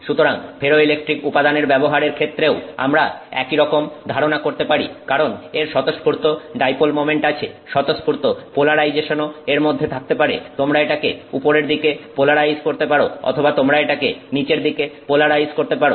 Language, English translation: Bengali, So, the same concept we can think of for using ferroelectric materials because it has that spontaneous dipole moment, spontaneous polarization that can exist in it, you can polarize it upwards or you can polarize it downwards